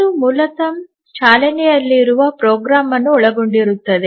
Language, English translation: Kannada, It basically involves running program